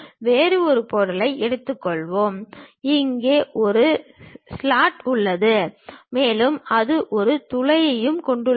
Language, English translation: Tamil, Let us take some other object, having a slot here and it has a hole there also